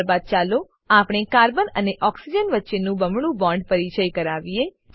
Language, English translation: Gujarati, Then, let us introduce a double bond between carbon and oxygen